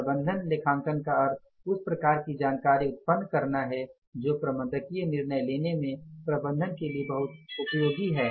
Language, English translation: Hindi, Management accounting means generating that kind of information which is very much useful to the management for the managerial decision making